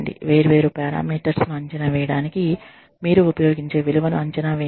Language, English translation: Telugu, Forecast the value, that you will use, to evaluate different parameters